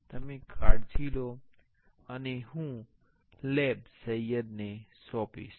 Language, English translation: Gujarati, You take care and I will hand over the lab to Sayed